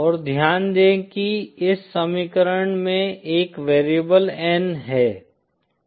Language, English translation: Hindi, And note there is a variable N in this equation